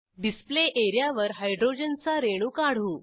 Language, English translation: Marathi, Let us draw Hydrogen molecule on the Display area